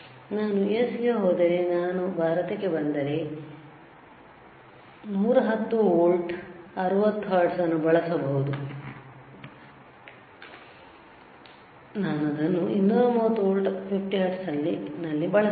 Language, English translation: Kannada, If I go to US, I can use it 8, 110 volt 60 hertz if I come to India, I can use it at 230 volts 50 hertz